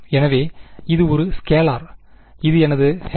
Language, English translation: Tamil, So, this is a scalar right, this is my H dot n hat